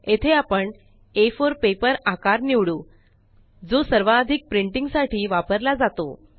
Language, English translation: Marathi, Here we will choose A4 as this is the most common paper size used for printing